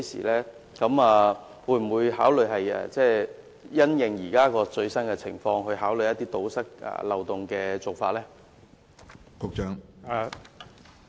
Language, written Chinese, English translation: Cantonese, 當局會否因應現時的最新情況，考慮堵塞漏洞的做法？, Will the Administration after taking into account the latest situation consider plugging the loophole?